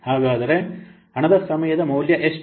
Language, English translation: Kannada, So, what is the time value of the money